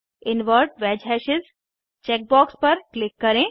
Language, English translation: Hindi, Click on Invert wedge hashes checkbox